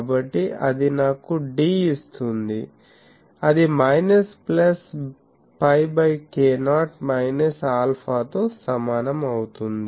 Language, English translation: Telugu, So, that gives me d is equal to minus plus pi by k not minus alpha